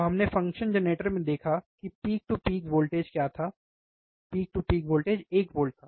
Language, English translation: Hindi, So, we have seen in function generator what was the peak to peak voltage, peak to peak voltage was one volt, right